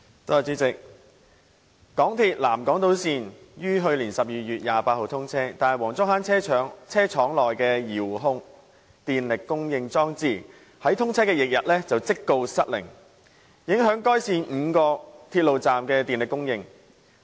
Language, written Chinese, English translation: Cantonese, 主席，港鐵南港島線於去年12月28日通車，但黃竹坑車廠內的遙控電力供應裝置在通車翌日即告失靈，影響該線5個鐵路站的電力供應。, President the MTR South Island Line SIL was commissioned on 28 December last year . However a power remote control device at the Wong Chuk Hang Depot malfunctioned right on the following day affecting the power supply of five railway stations along SIL